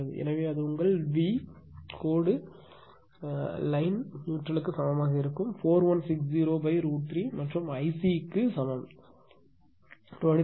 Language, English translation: Tamil, So, in that case it will be ah your V line to neutral is equal to 4160 by root 3 and I C is equal to 23